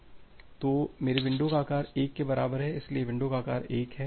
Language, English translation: Hindi, So, my window size is equal to 1, so window size of 1